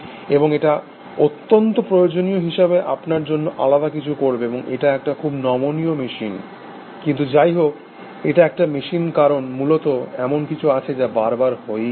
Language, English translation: Bengali, And it will do something different for you essentially, make it a very flexible machine, but nevertheless, it is the machine, because at the base, there is something which is very repetitive which is going on